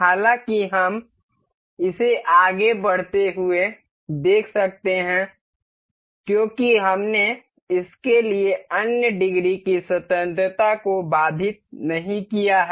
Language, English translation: Hindi, However, this we can see this moving because we have not constraint other degrees of freedom for this